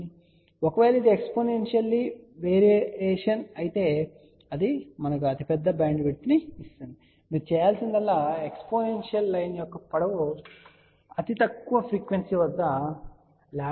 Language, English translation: Telugu, So, if this is a exponential variation that will give us the largest bandwidth , the only thing you have to do it is the length of the exponential line should be greater than lambda by 2 at the lowest frequency ok